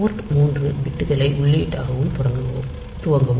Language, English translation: Tamil, So, this initializes port 3 bits to be input